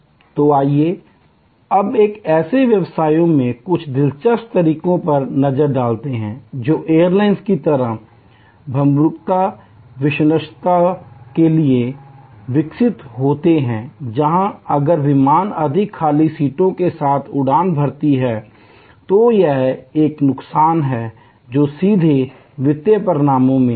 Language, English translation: Hindi, So, let us look at some interesting ways in businesses which are very grown to perishability like the airline, where if the flight takes off with more empty seats, it is a loss that goes straight into the financial results